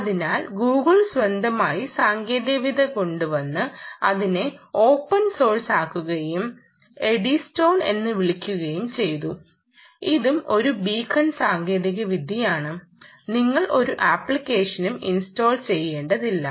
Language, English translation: Malayalam, so google came out with its own technology and made it open source and called it eddystone, and it did something more than just saying eddystone, which is also a beacon technology, and said: look, guys, there are ways by which you dont need to install any app